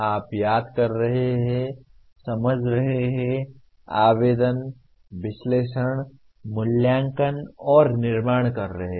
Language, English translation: Hindi, You are remembering, understanding, applying, analyzing, evaluating and creating